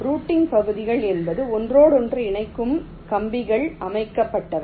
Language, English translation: Tamil, routing regions are those so which interconnecting wires are laid out